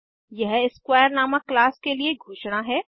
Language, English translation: Hindi, It is a member function of class square